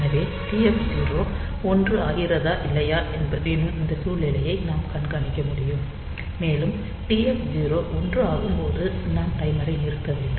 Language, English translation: Tamil, So, we can monitor this situation whether this TF 0 is becoming 1 or not, and when this TF 0 becomes 1